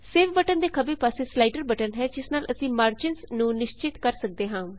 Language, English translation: Punjabi, Left to the save button is the slider button by which we can specify the margins